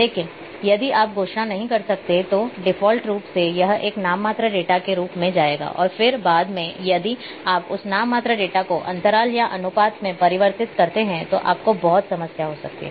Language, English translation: Hindi, But if you don’t declare then by default it will take as a nominal data and then later on if you convert that nominal data to interval or ratio you might have lot of problems